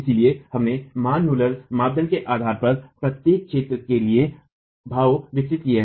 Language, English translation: Hindi, So, we developed expressions for each zone based on the Manmuller criterion